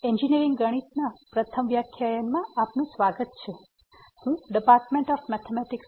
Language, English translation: Gujarati, Welcome to the first lecture on Engineering Mathematics, I am Jitendra Kumar from the Department of Mathematics